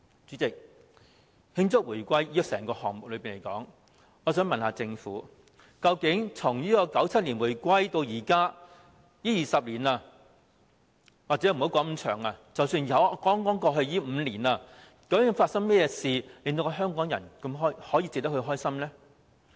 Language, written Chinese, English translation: Cantonese, 主席，就慶祝回歸的整個項目來說，我想問政府，究竟從1997年回歸至今這20年來，又或者不說那麼長的時間，只說剛過去的5年，究竟發生了甚麼事值得香港人開心呢？, Chairman regarding the entire project for celebrating the reunification may I ask the Government during these 20 years since the reunification in 1997 or if we just talk about the past five years instead of such a long period what has actually happened that can make Hongkongers happy?